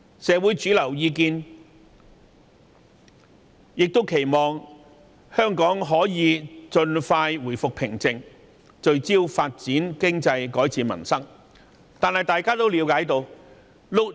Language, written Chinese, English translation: Cantonese, 社會主流意見亦期望香港盡快回復平靜，聚焦發展經濟，改善民生。, The mainstream opinion in society is that Hong Kong should get over the row expeditiously to focus on economic development and livelihood improvement